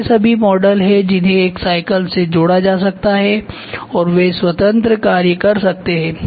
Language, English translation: Hindi, So, these are all models which can be attached to a bicycle and they can do independent functions